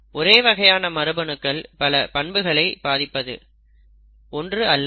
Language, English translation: Tamil, This means that the same gene affects many characters, not just one, it it affects multiple phenotypes